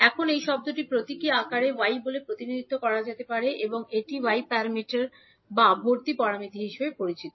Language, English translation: Bengali, Now, this term can be represented in the symbolic form called Y and this is known as y parameters or admittance parameters